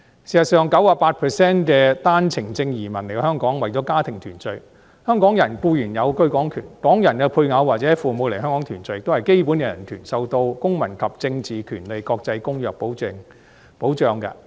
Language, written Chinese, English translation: Cantonese, 事實上 ，98% 的單程證移民來香港是為了家庭團聚，香港人固然有居港權，港人配偶或父母來港團聚都是基本人權，受到《公民權利和政治權利國際公約》保障。, In fact 98 % of the OWP entrants come to Hong Kong for family reunion . While Hong Kong people are certainly entitled to the right of abode in Hong Kong family reunion in Hong Kong is also a basic human right for the spouses or parents of Hong Kong people one which is protected by the International Covenant on Civil and Political Rights